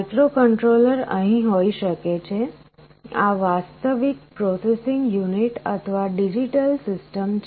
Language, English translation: Gujarati, The microcontroller can be sitting here, this is the actual processing unit or digital system